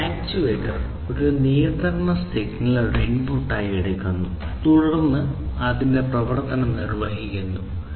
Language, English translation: Malayalam, So, an actuator basically what it does is it takes a control signal as an input and also the input of some energy source and then it performs its operation